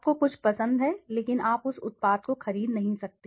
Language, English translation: Hindi, You like something but you don t purchase maybe that product